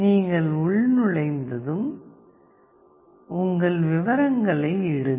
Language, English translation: Tamil, Once you login, put up your details